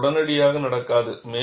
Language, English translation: Tamil, It does not happen immediately